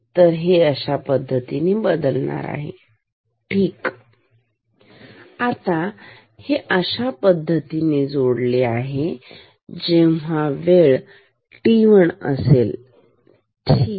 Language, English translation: Marathi, Now, this is connected to this when at time t 1 ok